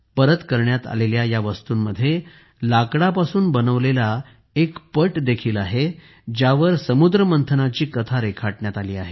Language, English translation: Marathi, Among the items returned is a panel made of wood, which brings to the fore the story of the churning of the ocean